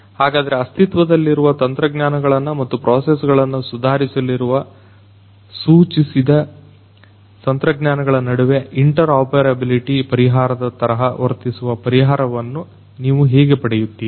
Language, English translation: Kannada, So, how you can how you can come up with a solution that can serve as an interoperability solution between the existing technologies and the suggested technologies which are going to improve their processes